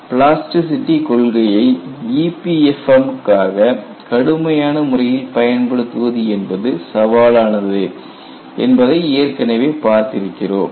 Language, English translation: Tamil, We have already seen, utilizing plasticity theory in a rigorous manner for EPFM, is going to be very challenging